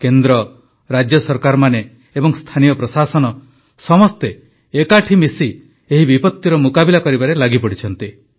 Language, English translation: Odia, The Centre, State governments and local administration have come together to face this calamity